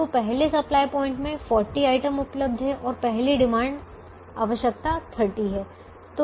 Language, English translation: Hindi, now, the first supply point has forty items available and the first demand requirement is thirty